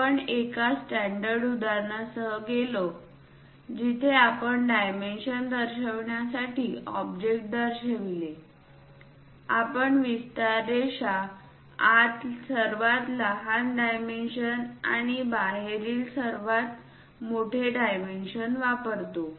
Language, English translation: Marathi, We went with a standard example where we have shown for an object to represent dimensions, we use the extension lines, smallest dimensions inside and largest dimensions outside